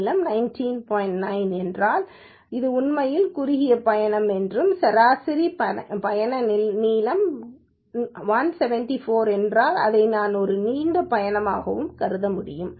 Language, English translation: Tamil, 9, I can actually say that this is of shortest trip and if the mean trip length is 174, I can treat this as a long trips